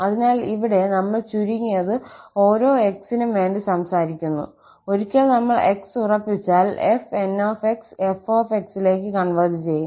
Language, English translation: Malayalam, So, here, we are at least talking that for each x, fn will converge to f, once we fix x